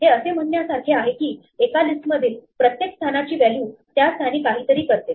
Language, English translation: Marathi, This is like saying for every position in a list do something the value at that position